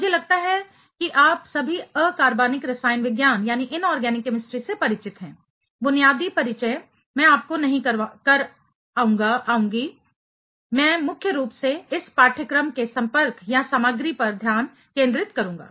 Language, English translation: Hindi, I assume that all of you have had some sort of introduction in inorganic chemistry; basic introduction I will not take you through, I will mainly focus on the contact or content of this course